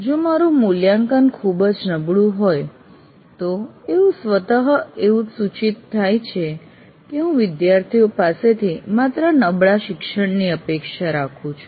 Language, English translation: Gujarati, If I have a very poor assessment, automatically it communicates that I am expecting only poor learning from the students